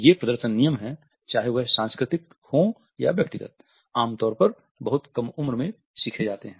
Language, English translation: Hindi, These display rules whether they are cultural or personal are usually learnt at a very young age